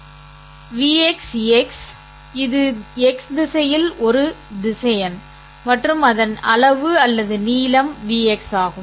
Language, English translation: Tamil, It is a vector along the x direction and its magnitude or the length is vx